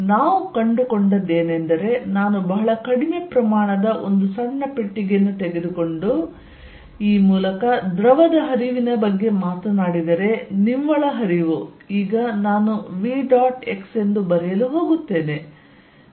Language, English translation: Kannada, So, what we found is that if I take a small box a very small volume and talk about this fluid flow through this, then the net flow with now I am going to write as v dot x and we had written remember b c plus v at x plus a y z dot x d c